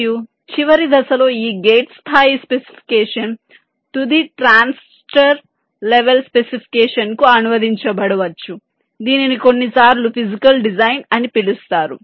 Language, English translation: Telugu, and in the last step, this gate level specification might get translated to the final transistor level specification, which is sometimes called physical design